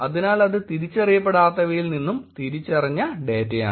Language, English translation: Malayalam, So that is identified and that is un identified data